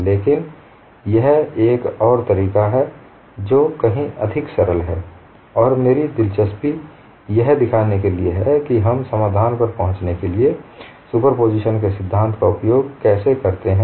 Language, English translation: Hindi, That is also another way of doing at it and this is all another method, which is far more simpler; and my interest is to show that how we use the principle of superposition to arrive at the solution